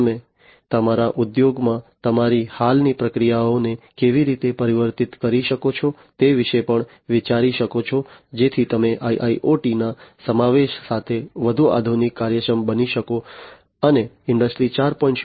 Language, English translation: Gujarati, You can also think about how you can transform your existing processes in your industries to be more modern efficient with the incorporation of IIoT, and trying to be compliant with the expectations and objectives of Industry 4